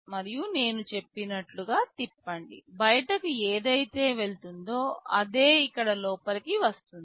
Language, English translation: Telugu, And, rotate as I said whatever goes out will be getting inside here